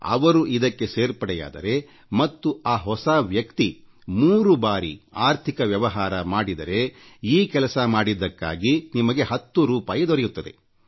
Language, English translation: Kannada, If the new member does three transactions, performs financial business thrice, you stand to earn ten rupees for that